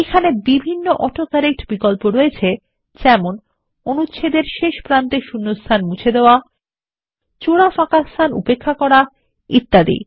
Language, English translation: Bengali, There are several AutoCorrect options like Delete spaces at the end and beginning of paragraph, Ignore double spaces and many more